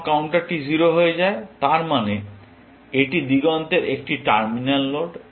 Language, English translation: Bengali, When the counter becomes 0 that means, it is a terminal node on the horizon